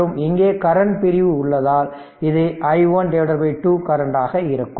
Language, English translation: Tamil, Now part from part of the current i 1 i 2 is flowing like this